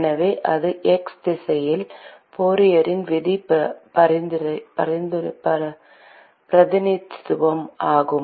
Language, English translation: Tamil, So, that is the representation of Fourier’s law in the x direction